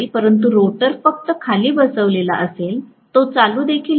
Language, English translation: Marathi, But the rotor is just sitting down, it is not even started